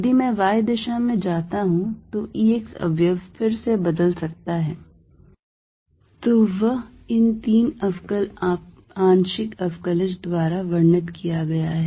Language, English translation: Hindi, If I go in the y direction E x component may again change, so that is described by these three differential partial derivatives